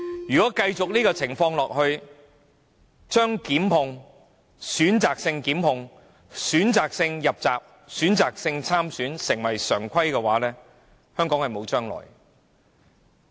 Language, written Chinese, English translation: Cantonese, 如果這種情況繼續下去，令選擇性檢控、選擇性入閘、選擇性參選成為常規，香港便沒有未來。, If we allow this situation to continue to exist and turn selective prosecution selective nomination and selective participation in elections into regular practices Hong Kong will have no future